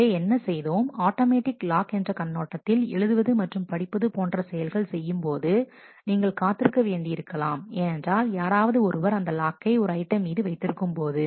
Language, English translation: Tamil, So, what did we see in terms of automatic locks in read and write operation is you may have to wait because, someone else is holding a lock on an item